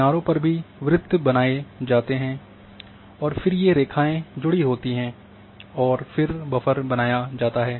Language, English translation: Hindi, On the edges itself, also the circles are created and then these lines are connected and then the buffer is created